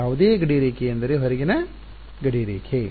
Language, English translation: Kannada, No boundary I mean the outermost boundary